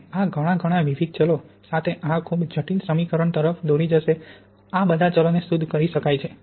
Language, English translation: Gujarati, And this would lead to this very complicated equation with many, many different variables and these, all these variables can be refined